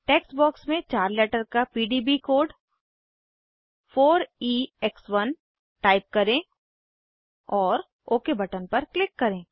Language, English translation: Hindi, Type the 4 letter PDB code 4EX1 in the text box and click on OK button